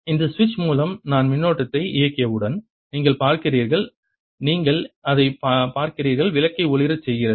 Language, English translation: Tamil, you see, as soon as i turned the current on by this switch, you see that the bulb lights up in a similar manner